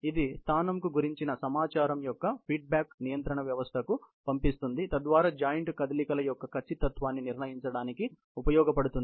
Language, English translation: Telugu, Information about the position is feedback into the control system and that is used to determine the accuracy of the joint movements